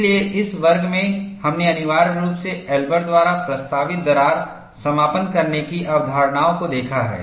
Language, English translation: Hindi, So, in this class, we have essentially looked at concepts of crack closure proposed by Elber